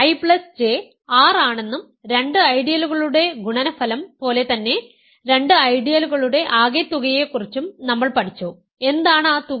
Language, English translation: Malayalam, Assume that I plus J is R and again just like the product of two ideals, we have also learned about the sum of two ideals and what is the sum